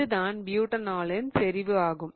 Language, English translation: Tamil, Okay, so that's the concentration of the butanol